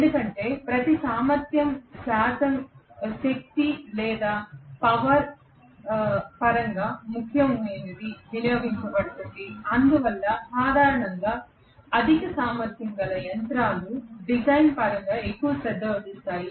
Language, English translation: Telugu, Because every percentage efficiency matters in terms of the energy or the power that is being consumed, so that is the reason generally high capacity machines are paid at most attention in terms of design